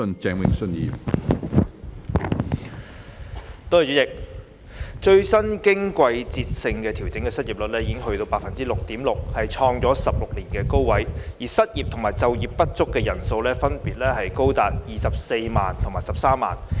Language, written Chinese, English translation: Cantonese, 主席，最新經季節性調整的失業率為百分之六點六，創16年高位，而失業及就業不足人數分別高達24萬及13萬。, President the latest seasonally adjusted unemployment rate is 6.6 % hitting a record high in 16 years with the numbers of unemployed and underemployed persons reaching as high as 240 000 and 130 000 respectively